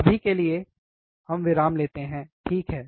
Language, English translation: Hindi, For now, let us take a break, alright